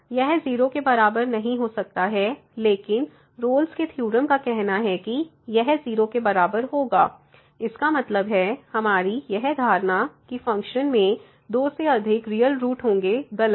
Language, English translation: Hindi, So, it cannot be equal to 0, but the Rolle’s Theorem says that it will be equal to 0; that means, we have a assumption which was that the function has more than two real roots is wrong